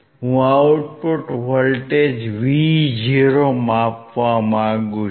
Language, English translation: Gujarati, I want to measure the output voltage Vo